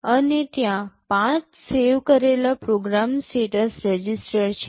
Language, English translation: Gujarati, And there are 5 saved program status register